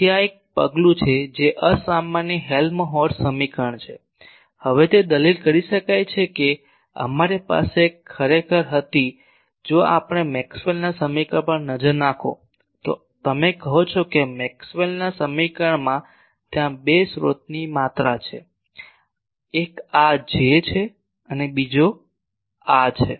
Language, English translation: Gujarati, So, this is one step forward that inhomogeneous Helmholtz equation; now it can be argued that we had actually if we look at Maxwell’s equation, you say in Maxwell’s equation there are two source quantities, one is this J and another is this rho